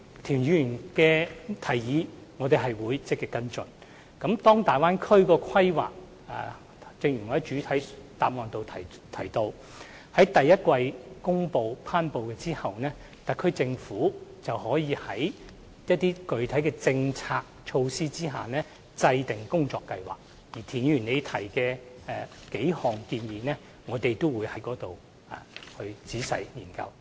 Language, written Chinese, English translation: Cantonese, 正如我在主體答覆中提到，當《規劃》於明年第一季頒布後，特區政府會就某些具體政策措施制訂工作計劃，而田議員提出的數項建議，我們屆時會仔細研究。, As I have mentioned in the main reply after the promulgation of the Development Plan in the first quarter of 2018 the HKSAR Government will devise concrete work plans on specific policies and measures . We will then carefully study the several suggestions made by Mr TIEN